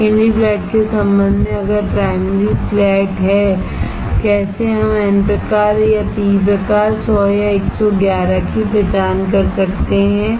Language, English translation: Hindi, With respect to secondary flat if primary flat how we can identify n type or p type, 100 or 111